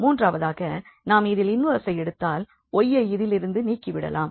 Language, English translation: Tamil, The third step is to take the inverse so that we get y from here